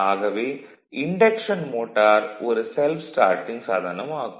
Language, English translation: Tamil, The induction motor is therefore, a self starting device right